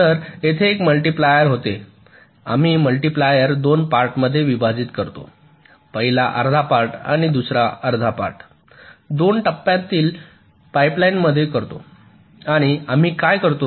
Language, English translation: Marathi, so it was something like this: so there was a multiplier, we divide the multiplier into two parts, first half and the second half, in a two stage pipe line, and what we do